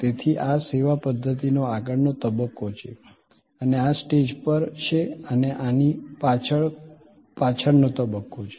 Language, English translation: Gujarati, So, this is the front stage of the servuction system and this is the on stage and behind is this is the back stage